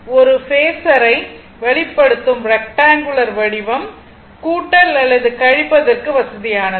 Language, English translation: Tamil, So, the rectangular form of expressing a phasor is convenient for addition or subtraction, right